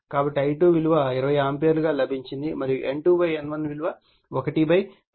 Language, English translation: Telugu, So, I2 we got 20 ampere and N2 / N1 is 1 /10